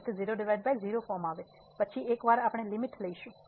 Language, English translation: Gujarati, So, 0 by 0 form once we take the limit